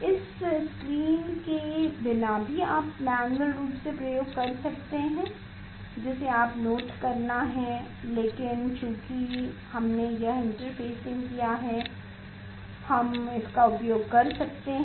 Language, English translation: Hindi, without this screen also you can do the experiment manually you have to note down, but we since we have done this interfacing that is why we are using it